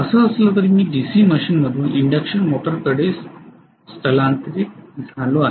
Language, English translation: Marathi, So anyway I migrated from the DC machine to the induction motor